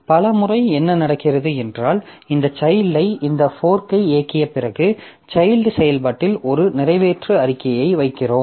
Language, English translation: Tamil, Many a time what happens is that after executing this fork this child in the child process we put an exact statement